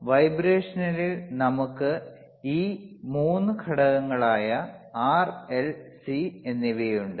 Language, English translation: Malayalam, So, on vibration we have these 3 components R, L and C that you can see right over here,